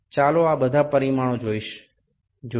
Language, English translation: Gujarati, Let us see all these dimensions